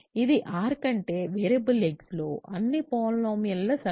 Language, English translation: Telugu, So, it is the set of all polynomials in the variable x over R